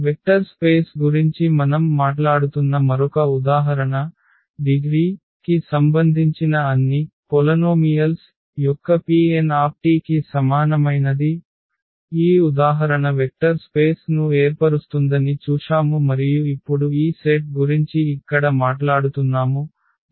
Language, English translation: Telugu, Another example where we are talking about the vector space this P n of all polynomials of degree less than equal to n; again this example we have seen that this form a vector space and now we are talking about this set here 1 t t square and so on t n